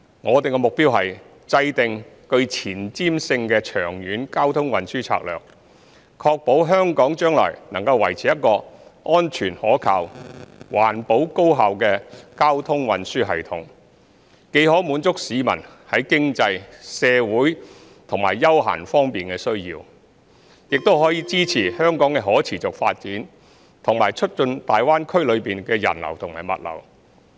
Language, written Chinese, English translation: Cantonese, 我們目標是制訂具前瞻性的長遠交通運輸策略，確保香港將來能維持一個安全可靠、環保高效的交通運輸系統，既可滿足市民在經濟、社會和休閒方面的需要，亦可支持香港的可持續發展，以及促進大灣區內的人流和物流。, Our goal is to set out a forward - looking long - term traffic and transport strategies for ensuring that Hong Kong can maintain a safe reliable environmentally friendly and efficient traffic and transport system in the future . This can not only satisfy the publics needs in terms of economy social and leisure but also support the sustainable development of Hong Kong and facilitate the flow of people and goods in the Greater Bay Area